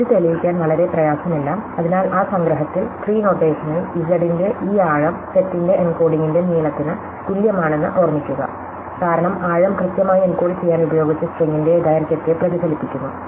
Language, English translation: Malayalam, This is not very difficult to prove, so in that summation that we had, from the tree notation remember this depth of z is the same as the length of the encoding of set, because the depth exactly a reflects the length of the string use to encoded